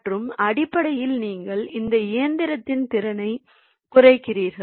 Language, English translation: Tamil, so that will be essentially control the your capacity of your machine